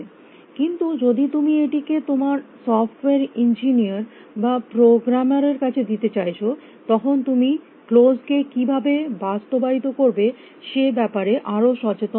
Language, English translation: Bengali, But if you want to put on your software engineer or programmer had then, you have to be more concern about how to implement closed